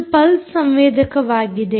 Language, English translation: Kannada, this is related to the pulse sensor